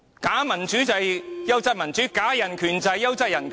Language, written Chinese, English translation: Cantonese, 假民主便是"優質民主"，假人權便是"優質人權"。, Fake democracy is quality democracy . Fake human rights are quality human rights